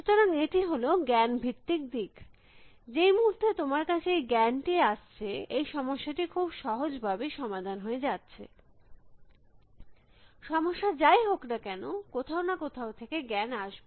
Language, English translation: Bengali, So, that is the knowledge base approach, this very once you have the knowledge, it is the very simple way of solving a problem, whether trouble is knowledge has to come from some were